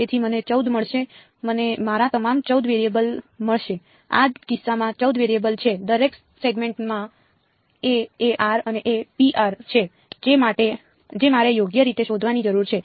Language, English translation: Gujarati, So, I will get 14; I will get all my 14 variables, there are 14 variables in this case right each segment has a a n and a b n that I need to find out right